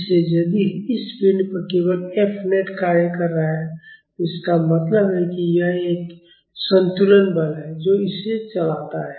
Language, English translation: Hindi, So, if there is only F net acting on this body, that means, it is an balancing force it moves